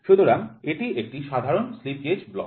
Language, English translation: Bengali, So, this is a typical slip gauge block